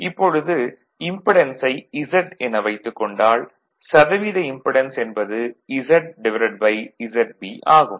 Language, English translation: Tamil, Now, let impedance is Z right; therefore, percentage impedance will be Z upon Z B